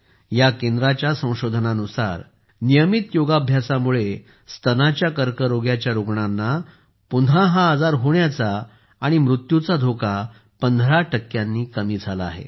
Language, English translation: Marathi, According to the research of this center, regular practice of yoga has reduced the risk of recurrence and death of breast cancer patients by 15 percent